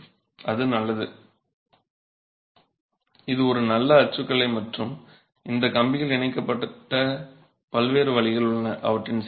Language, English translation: Tamil, So, it's a good typology and there are different ways in which these wires are attached